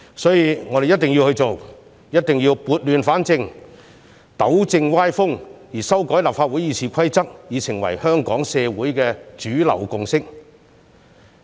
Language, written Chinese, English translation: Cantonese, 所以，我們一定要做，一定要撥亂反正，糾正歪風，而修改立法會《議事規則》已成為香港社會的主流共識。, For that reason we must go ahead to bring order out of chaos and to right the wrong . Besides amending the Rules of Procedure has been the mainstream consensus in Hong Kong